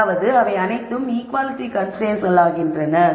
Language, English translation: Tamil, That means, they all become equality constraints